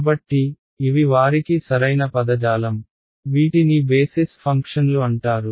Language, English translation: Telugu, So, these are the correct terminology for them these are called basis functions